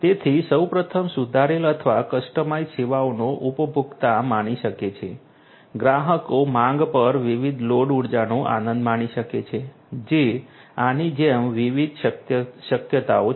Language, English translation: Gujarati, So, first of all improved or customized improved or customized services can be enjoyed by the consumers, the consumers can on demand on demand enjoy different loads of energy that is a possibility like this there are different different possibilities